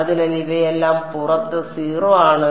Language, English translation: Malayalam, So, these are all 0 outside